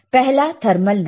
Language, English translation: Hindi, The first noise is thermal noise